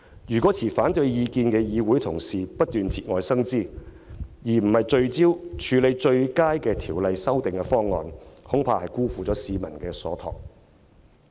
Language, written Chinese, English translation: Cantonese, 如果持反對意見的議會同事不斷節外生枝，而非聚焦討論最佳的修訂方案，恐怕便會辜負市民所託。, If Honourable colleagues holding dissenting views keep bringing up unnecessary ramifications instead of focusing their attention on discussing the best amendment proposals I am afraid they will fail the trust of the people